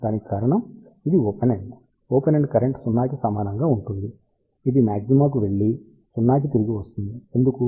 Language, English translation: Telugu, The reason for that it this is an open end, at open end current will be equal to 0, it will go to maxima and come back to 0, why